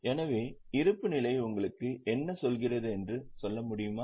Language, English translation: Tamil, So, can you tell what does the balance sheet tell you